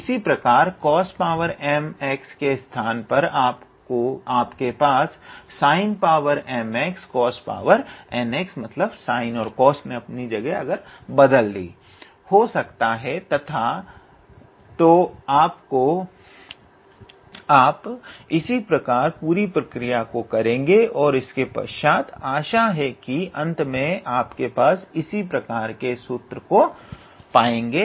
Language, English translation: Hindi, Similarly, instead of cos to the power m x you can have sin to the power m x times cos n x and then you proceed in the similar fashion and then you will probably end up with a similar formula of this type